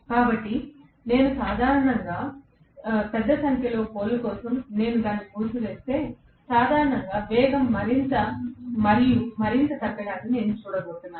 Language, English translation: Telugu, So, in general if I wind it for a larger number of poles I am going to see that generally, the speed is going decrease further and further